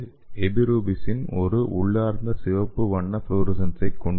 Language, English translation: Tamil, And it also has intrinsic red color fluorescence